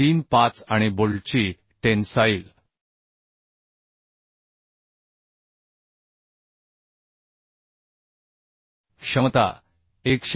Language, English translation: Marathi, 35 and tensile capacity of the bolt was 101